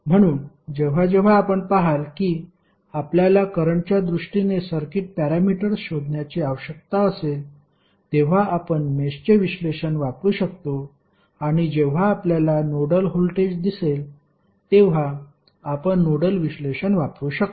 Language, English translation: Marathi, So, whenever you see that you need to find out the circuit parameters in terms of currents you can use mesh analysis and when you are asked find out the node voltages you can use nodal analysis